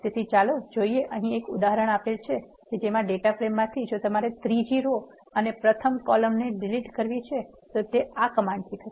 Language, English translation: Gujarati, So, let us see the example here now from the data frame we have if you want to delete the third row and the first column that can be done using this command